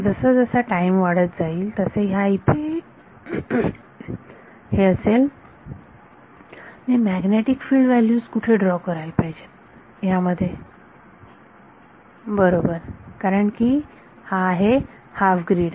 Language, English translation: Marathi, This is as time is progressive similarly in where should I draw the magnetic field values in between these right because it is half a grid